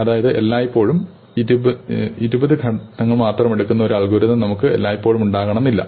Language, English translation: Malayalam, So, we will not have an algorithm which will always take say twenty steps